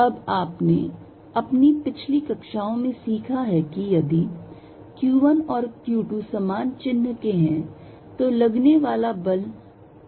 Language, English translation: Hindi, Now, you learnt in your previous classes that, if q 1 and q 2 are of the same sign, then the force is repulsive